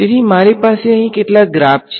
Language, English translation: Gujarati, So, I have some graphs over here